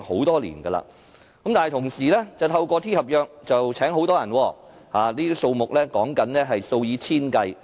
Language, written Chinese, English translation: Cantonese, 但是，政府同時透過 T 合約聘請很多人，所說的數目是數以千計。, However at the same time the Government recruits many workers through T - contract; the number is in the thousands